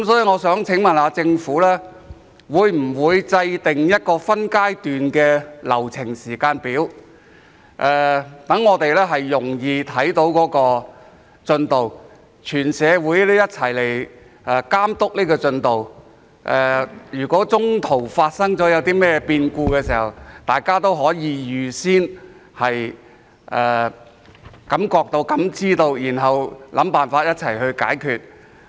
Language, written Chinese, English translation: Cantonese, 我想問政府會否制訂一個分階段的流程時間表，讓我們容易看到進度，讓全社會一起監督進度；若中途發生任何變故，大家也可預先感覺、感知，然後想辦法一起解決。, I would like to ask if the Government will draw up a phased schedule so that we can easily keep an eye on the progress and the whole community can monitor it; if any unforeseen incidents happen in the course of implementation we will notice them in advance and can work out a solution together